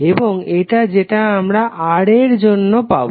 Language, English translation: Bengali, And this is what we got for Ra